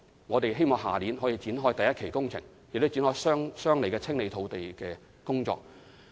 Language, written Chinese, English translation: Cantonese, 我們希望明年可以展開第一期工程，亦展開相應的清理土地的工作。, We hope to commence the First Phase Works next year and we will also commence land clearance correspondingly